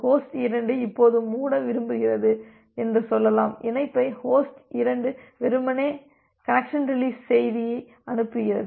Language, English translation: Tamil, Say it may happen that host 2 now wants to wants to close the connection, host 2 simply sends the connection release message